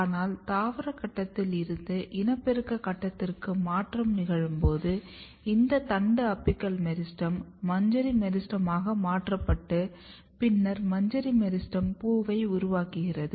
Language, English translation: Tamil, But, when the transition occurs from vegetative phase to reproductive phase, this shoot apex shoot apical meristem get converted into inflorescence meristem and then inflorescence meristem makes the flower